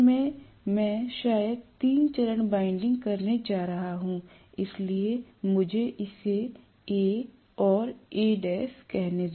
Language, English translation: Hindi, So in the stator I am probably going to have three phase windings, so let me call this as A and A dash